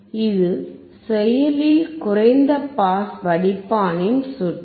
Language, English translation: Tamil, This is a circuit of an active low pass filter